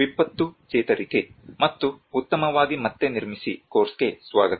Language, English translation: Kannada, Welcome to the course, disaster recovery and build back better